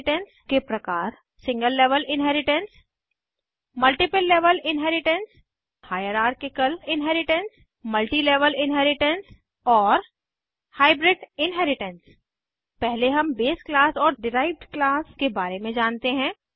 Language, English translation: Hindi, Types of Inheritance Single level inheritance Multiple level inheritance Hierarchical Inheritance Multilevel inheritance Hybrid Inheritance First let us know about the base class and the derived class